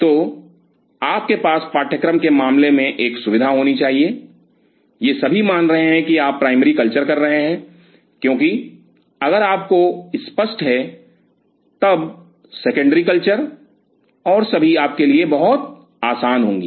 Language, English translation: Hindi, So, you have to have a facility in the case of course, these are all assuming that you are doing primary culture, because if this is clear to you then the secondary cultures and all will be very easy to you